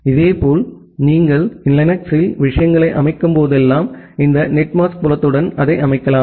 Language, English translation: Tamil, Similarly, whenever you are setting up the things in Linux you can also set it with this net mask field